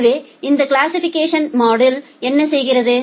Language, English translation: Tamil, So, what this classification module does